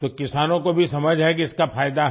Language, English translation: Hindi, So do farmers also understand that it has benefits